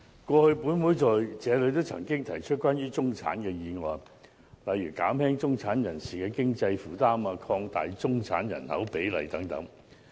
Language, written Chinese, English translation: Cantonese, 過去本會在這裏也曾提出關於中產的議案，例如"減輕中產人士經濟負擔"、"擴大中產人口比例"等。, Similar motions on the middle class have been moved in this Council in the past such as Alleviating the financial burden of middle - class people Expanding the ratio of the middle - class population etc